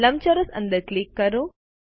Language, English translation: Gujarati, Click inside the rectangle